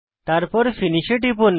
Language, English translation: Bengali, And then click on Finish